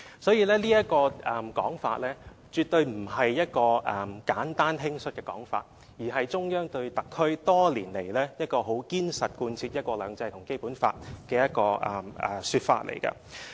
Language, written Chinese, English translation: Cantonese, "所以，這種說法絕對不是一種簡單、輕率的說法，而是中央多年來對特區很堅實地貫徹"一國兩制"及《基本法》的一種說法。, End of quote Therefore such a remark is definitely not an easy or idle remark but rather a remark representing the Central Authorities determination to implement one country two systems and the Basic Law in the HKSAR for many years